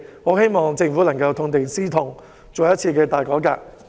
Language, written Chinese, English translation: Cantonese, 我希望政府能夠痛定思痛，進行一次大改革。, I hope the Government can draw a good lesson from such bitter experiences and carry out a major reform